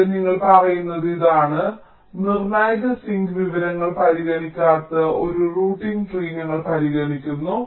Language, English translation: Malayalam, so here what you are saying is that we are considering a routing tree that does not consider critical sink information